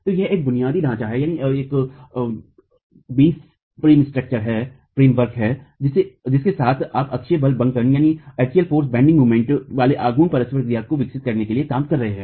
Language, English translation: Hindi, So this is a basic framework with which you can work to develop the axial force bending moment in traction